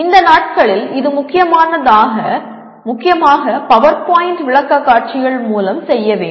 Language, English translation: Tamil, These days it is mainly through PowerPoint presentations